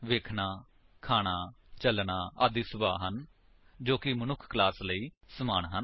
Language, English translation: Punjabi, Seeing, eating, walking etc are behaviors that are common to the human being class